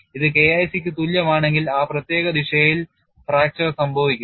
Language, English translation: Malayalam, If it is equal to K1 c then fracture would occur in that particular direction